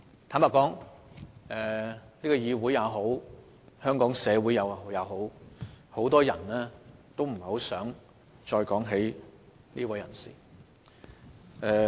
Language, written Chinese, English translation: Cantonese, 坦白說，無論是本議會還是香港社會，很多人都不想再談論這位人士。, Frankly speaking many people do not want to talk about this man any more be it in this Council or in the Hong Kong community